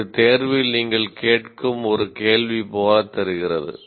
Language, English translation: Tamil, It almost looks like a question that you are asking in the examination